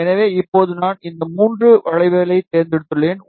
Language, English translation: Tamil, So, now I have selected these three curve